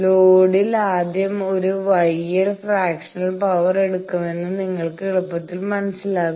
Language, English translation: Malayalam, You will easily understand that at load it is first taking one gamma L fractional power